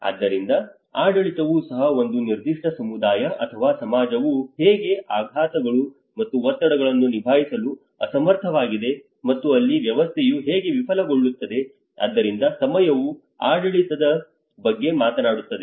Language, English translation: Kannada, So even the governance because how one particular community or society is unable to handle shocks and stresses and that is where a system how it fails, so that is where the time talk about the governance